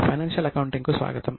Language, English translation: Telugu, Namaste Welcome to financial accounting